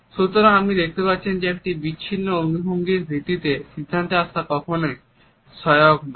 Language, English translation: Bengali, So, you would find that jumping into conclusion on the basis of a single isolated gesture is never helpful